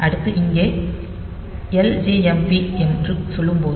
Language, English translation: Tamil, So, this is ljmp instruction